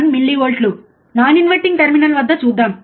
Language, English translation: Telugu, 1 millivolts, let us see at non inverting terminal